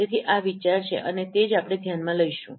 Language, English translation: Gujarati, So this is the idea and that is what we will be considering